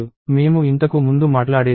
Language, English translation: Telugu, So, this is what I was talking about earlier